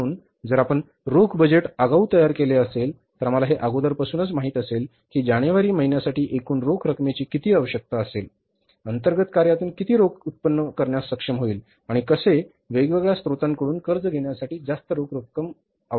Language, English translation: Marathi, So, if you have prepared the cash budget in advance, so we know it in advance, therefore the month of January, how much is going to be the total cash requirement, how much cash will be able to generate internally from the internal operations and how much cash will be requiring to borrow from different sources